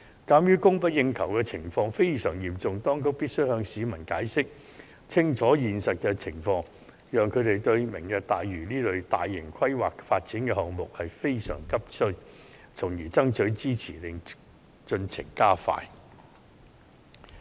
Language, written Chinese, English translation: Cantonese, 鑒於供不應求的情況非常嚴重，當局必須向市民解釋清楚現實情況，讓他們明白本港急需"明日大嶼"這類大型規劃發展項目，從而爭取支持，加快落實進程。, Given the severe scarcity in land provision the Government should clearly explain to the public the reality of the situation and help them realize Hong Kongs desperate need of large - scale developments such as the Lantau Tomorrow Vision so as to solicit public support for expediting the implementation of the plan